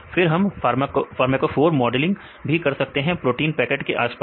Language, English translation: Hindi, Then we can also do pharmacophore modeling, surrounding the protein pocket